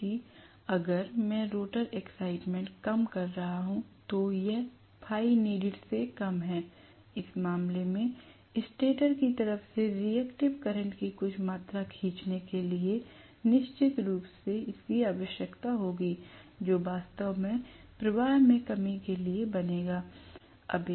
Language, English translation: Hindi, Whereas if I am going to have rather, if the rotor excitation is less, it is less than phi needed, in which case it will require definitely to draw some amount of reactive current from the stator side as well, which will actually make up for any shortfall I had originally in the flux